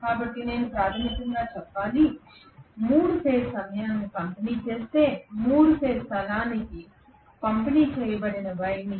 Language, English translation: Telugu, So I should say basically that if I supply 3 phase time distributed current to a 3 phase space distributed winding